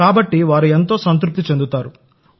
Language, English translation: Telugu, So those people remain satisfied